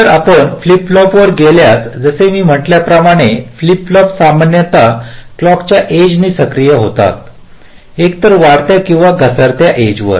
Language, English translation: Marathi, ok, later on, if you move on the flip flopping, as i said, flip flops are typically activated by the edge of the clock, either the rising or the falling edge